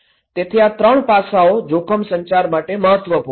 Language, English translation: Gujarati, So, these 3 components are important aspect of risk communications